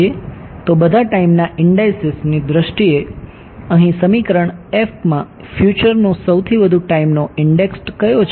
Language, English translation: Gujarati, So, in terms of all the time indices which is the future most time index over here in equation one